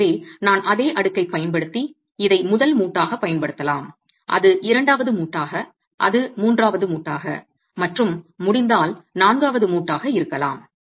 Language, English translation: Tamil, So I could use the same stack, examine this as the first joint, that as a second joint, that as a third joint, and if possible that as the fourth joint